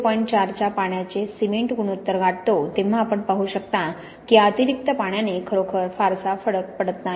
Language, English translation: Marathi, By the time we get to a water cement ratio of point four then you can see this extra amount of water does not really make much difference